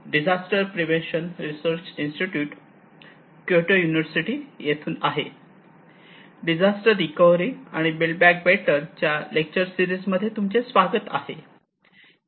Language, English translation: Marathi, Welcome to disaster recovery and build back better lecture series